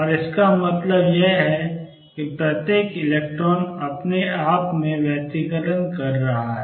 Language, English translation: Hindi, And what that means, is that each electron is interfering with itself